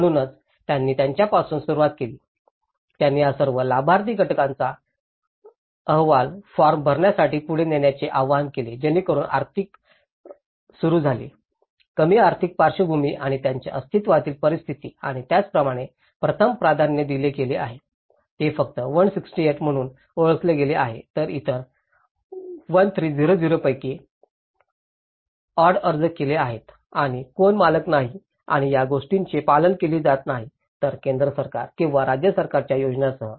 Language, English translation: Marathi, So that is where they started with them, they invited all these beneficiary groups to come forward to fill the application forms so, starting from the economic; the lower economic background and their existing situations and that is how the priority has been given and that’s the identified, only 168, so what about the others, out of 1300 odd have applied and who are non owners and these, they are not complied with these central government or the state government schemes